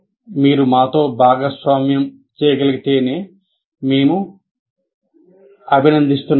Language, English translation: Telugu, And if you can share with us, we'll appreciate that